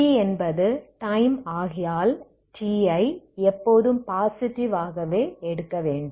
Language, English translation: Tamil, So because T is time T is always you take it as positive